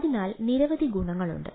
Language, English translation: Malayalam, there are several challenges